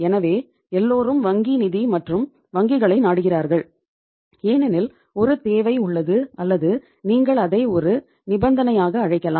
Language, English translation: Tamil, So everybody resorts to the bank finance and banks because there is a uh requirement or there is a you can call it as a stipulation